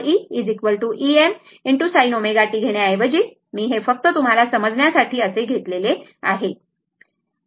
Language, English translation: Marathi, Instead of taking e is equal to E M sin omega t, I have taken this one just for your understanding only right